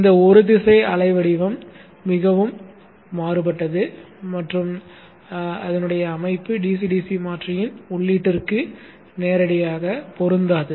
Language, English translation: Tamil, This unidirectional wave shape is highly varying and this is still further not compatible directly to be given to the input of the DCDC converter